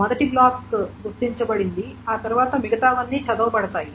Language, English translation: Telugu, So the first block is identified then after that everything else is red